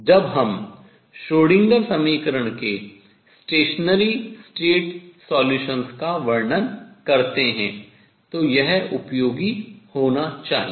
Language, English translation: Hindi, It should be useful when we describe stationary sates solutions of the Schrodinger equation